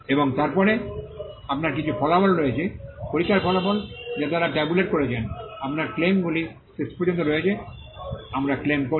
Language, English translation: Bengali, And then, you have some results, test results which they have tabulated, you have the claims finally, we claim